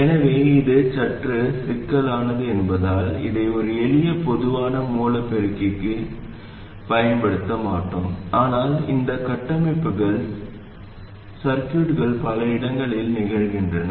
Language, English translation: Tamil, So because this is slightly more complicated, we normally would not use this for a simple common source amplifier, but these structures do occur in many places in circuits